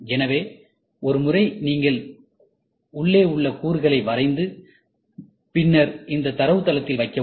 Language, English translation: Tamil, So, once you draw the component inside, and then put it in this database